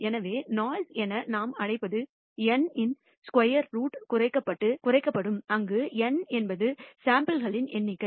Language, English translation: Tamil, So, what we call the noise will be reduced by square root of N where N is the number of samples